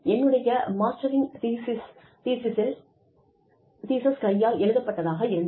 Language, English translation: Tamil, My master's thesis was handwritten